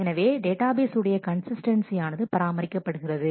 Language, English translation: Tamil, So, the consistency of the database is maintained